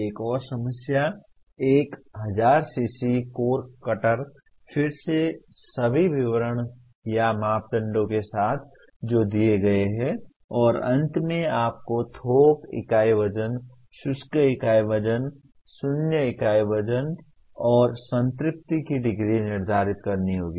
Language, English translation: Hindi, Another problem: A 1000 cc core cutter, again with all descriptions or parameters that are given and finally you have to determine bulk unit weight, dry unit weight, void ratio and degree of saturation